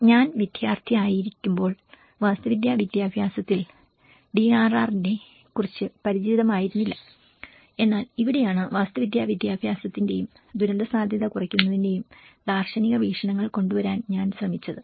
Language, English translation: Malayalam, When I was a student there was not familiarity about the DRR in the architectural education but then this is where I also tried to bring the philosophical perspectives of architectural education and the disaster risk reduction